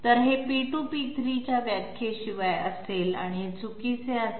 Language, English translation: Marathi, So this one would be without definition of P2 and P3, this would be incorrect